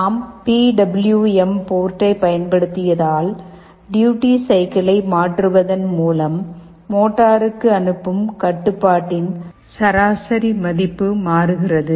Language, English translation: Tamil, Also because we have used the PWM port, by changing the duty cycle the average value of the control that you are sending to the motor is changing